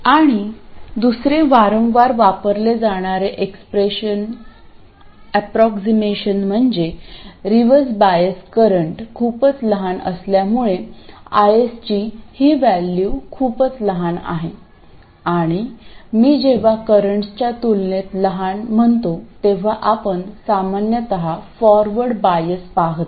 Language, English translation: Marathi, And another approximation frequently used is that because the reverse bias current is so small, this value of bias is quite small and again when I say small compared to currents you normally see in forward bias